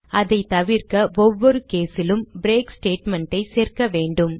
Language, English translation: Tamil, To avoid that, we need to add a break statement in each case